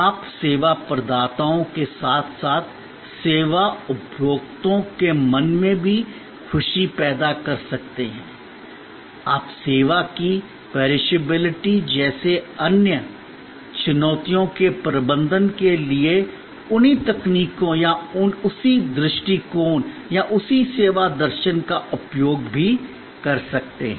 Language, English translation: Hindi, You can create happiness in the minds of service providers as well in the minds of services consumers, you can also use those same techniques or same approaches or same service philosophy for managing the other challenges like perishability of the service